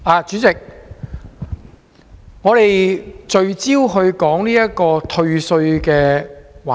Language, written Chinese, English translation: Cantonese, 主席，現在是聚焦討論退稅的環節。, Chairman this session focuses on discussing tax rebates